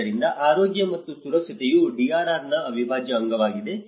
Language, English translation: Kannada, So, that is how health and safety is an integral part of the DRR